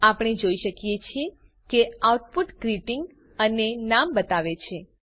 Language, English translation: Gujarati, We can see that the output shows the greeting and the name